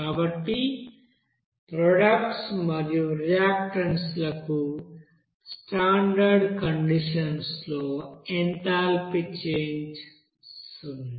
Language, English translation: Telugu, So enthalpy change at the standard condition for products and reactants are zero